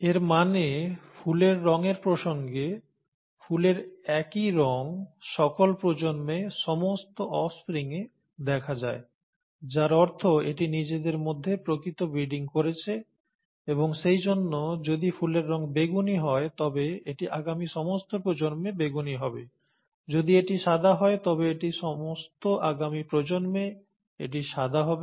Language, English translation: Bengali, It means, in the context of flower colour, the same of flower results in all the offspring in all the generations, okay; which means it is true breeding amongst itself and therefore if it is purple; if the flower colour is purple, it is purple throughout in all the generations forward; if it is white, it is white in all the generations forward